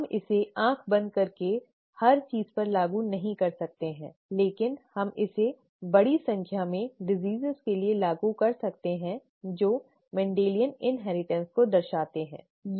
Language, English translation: Hindi, We cannot apply it blindly to everything but we can apply it to large number of diseases that show Mendelian inheritance, okay